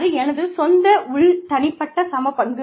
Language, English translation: Tamil, That is my own internal, individual equity